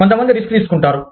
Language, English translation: Telugu, Some people are risk takers